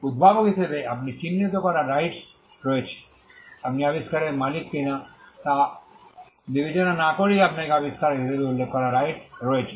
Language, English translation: Bengali, As an inventor, you have a right to be denoted; you have a right to be mentioned as an inventor, regardless of whether you own the invention